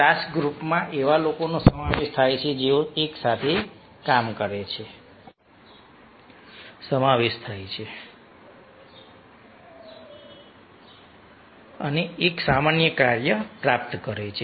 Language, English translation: Gujarati, the task group consist of people who work together to achieve a common task